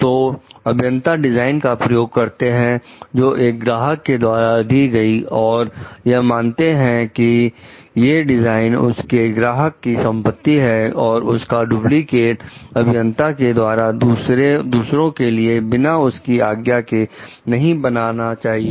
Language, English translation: Hindi, So, engineers using designs, supplied by a client recognize that the designs will mean the property of the client and may not be duplicated by the engineer for others without express permission